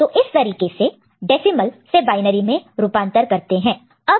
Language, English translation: Hindi, So, this is the way decimal to binary conversion is done ok